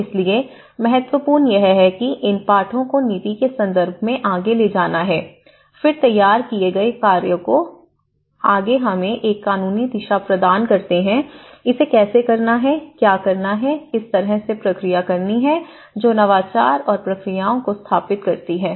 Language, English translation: Hindi, So, how this is very important that these lessons has to take forward in terms of policy, in terms of bills then formulated acts which further provides us a legal direction, how to do it and how to approach it, what to do it, in what way we have to procedure that establishes the protocols and procedures